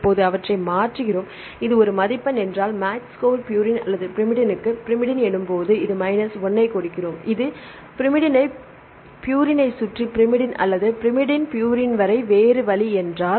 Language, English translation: Tamil, Now we change its right this is a; if it is a score, match score we put one right if it is purine to purine or pyrimidine to pyrimidine we give minus 1 right if it is another way around purine to pyrimidine or pyrimidine to purine